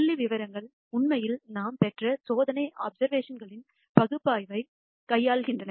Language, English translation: Tamil, Statistics actually deals with the analysis of experimental observations that we have obtained